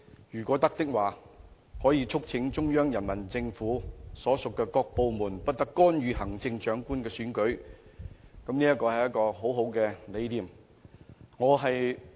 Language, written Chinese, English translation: Cantonese, 如果可以的話，本會亦可促請中央人民政府所屬各部門不得干預行政長官的選舉，我認為這無疑是一個很好的理念。, If possible this Council may also urge the various departments of the Central Peoples Government not to interfere in the Chief Executive Election for this is in my view undoubtedly a very good idea